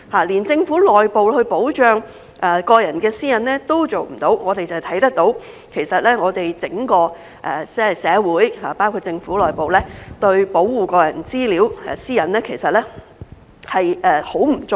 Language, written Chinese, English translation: Cantonese, 連政府內部也保障不到個人私隱，可見整個社會，包括政府內部，對個人資料、私隱的保護很不足夠。, When even the Government cannot safeguard personal privacy internally it is clear that our society as a whole including the Government does not provide enough protection for personal data and personal privacy